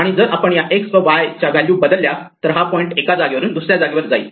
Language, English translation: Marathi, And if we change this x and y value, then the point shifts around from one place to another